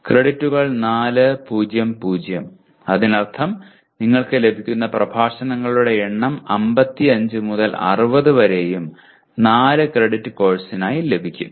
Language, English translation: Malayalam, Credits 4:0:0 and that means the number of lectures that you will have you have anywhere from 55 to 60 almost you can have for a 4 credit course